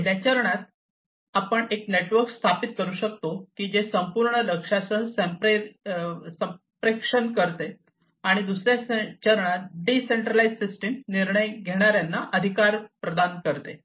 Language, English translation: Marathi, In the first step, we can establish a network which communicates with the overall target, and in the second, providing authority to decision makers in a decentralized system